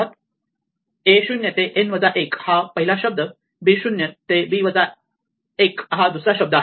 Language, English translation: Marathi, So, a 0 to a n minus 1 is the first word b 0 to b n minus 1 is the second word and now there are two cases